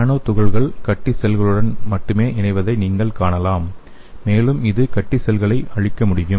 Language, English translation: Tamil, So you can see the nanoparticles can enter and only bind to the tumor cells and it can eradicate the tumor cells